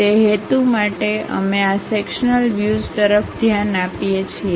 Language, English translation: Gujarati, For that purpose we really look at this sectional views